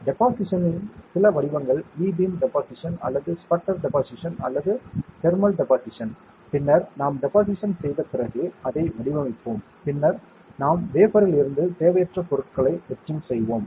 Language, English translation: Tamil, Some form of deposition either EBeam evaporation or sputter deposition or thermal evaporation, and then we will after deposition we will pattern it, and then we will etch out the unwanted material from the wafer